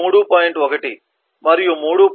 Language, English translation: Telugu, 1 and 3